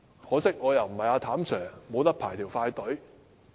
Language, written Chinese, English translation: Cantonese, 可惜，我不是"譚 Sir"， 不能排"快隊"。, Regrettably I am not Sir TAM and I do not have express access